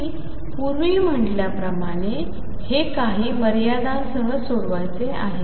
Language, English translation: Marathi, And as I said earlier this is to be solved with boundary conditions